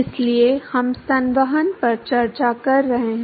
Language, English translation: Hindi, So, we have been discussing convection